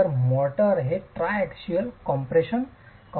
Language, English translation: Marathi, So the unit, so the motor is in a state of triaxial compression